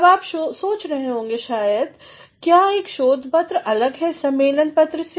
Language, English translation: Hindi, Now, you might be thinking, is a research paper different from a conference paper